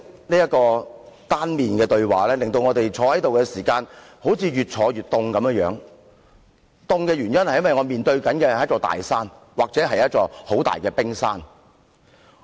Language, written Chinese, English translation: Cantonese, 這種單向對話，令我們在會議廳內感到越來越冷，因為我們好像面對一座大山或一座冰山發言。, This kind of one - way conversation made us feel colder and colder in this Chamber because it seems that we have been speaking to a huge mountain or a huge iceberg